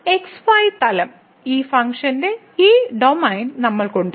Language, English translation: Malayalam, So, in the plane, we have this domain of this function